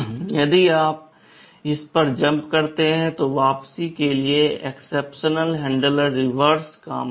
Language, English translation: Hindi, If you jump to this, for return the exception handler will do the reverse thing